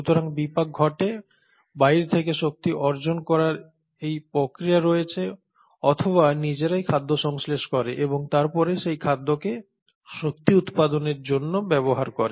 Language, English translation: Bengali, So the metabolism happens, there is a process in place to acquire energy either from outside or synthesise the food on their own and then utilise that particular food for generation of energy